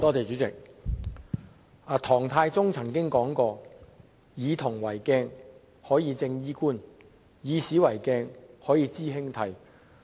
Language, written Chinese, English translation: Cantonese, 主席，唐太宗曾經說過，"夫以銅為鏡，可以正衣冠；以古為鏡，可以知興替"。, President Emperor Taizong of the Tang Dynasty once said Using bronze as a mirror one can straighten his hat and clothes; using history as a mirror one can know the rise and fall of dynasties